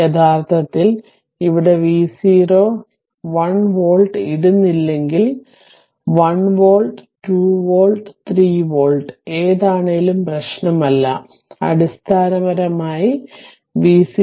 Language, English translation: Malayalam, Actually here v 0 if you do not put 1 volt, ah does not matter 1 volt, 2 volt, 3 volt it does not matter, basically you have to obtain v 0 by i 0